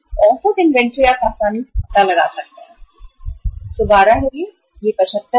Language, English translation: Hindi, Average inventory you can easily find out by from this column 112